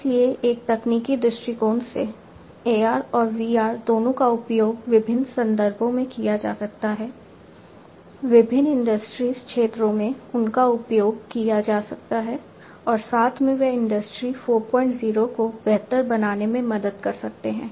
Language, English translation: Hindi, So, from a technological perspective, both AR and VR they can be used in different context; different contexts they can be used, different industry sectors they can be used and together they can help in improving Industry 4